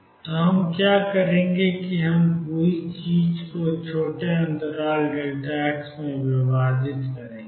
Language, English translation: Hindi, So, what we will do is we will divide this whole thing into small e of interval delta x